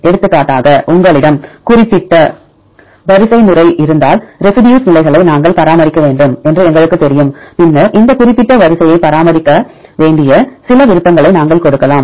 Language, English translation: Tamil, For example, if you have particular sequence right we know that we need to maintain the residue positions, then we can give some preferences right we have to maintain that particular sequence